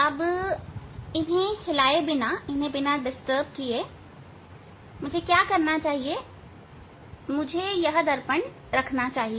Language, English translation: Hindi, Now, what I must do without disturbing them, I must put this mirrors